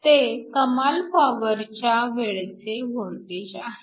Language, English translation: Marathi, This is the open circuit voltage